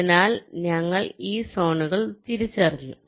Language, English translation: Malayalam, in this way you define the zones